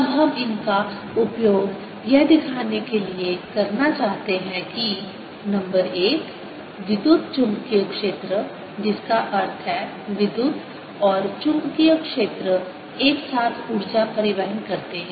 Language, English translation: Hindi, what we want to use these now for is to show that number one, the electromagnetic field, that means electric and magnetic field together transport energy